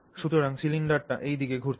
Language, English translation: Bengali, And so the cylinder rotates that way